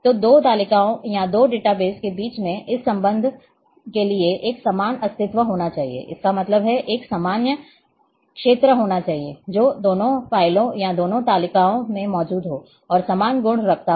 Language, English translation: Hindi, So, for this relationship between two tables or two databases there has to be a common entity; that means, there has to be a common field which is present in both the files or both the tables and having the identical properties